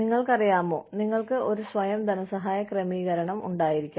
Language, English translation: Malayalam, You know, you could have a self funding arrangement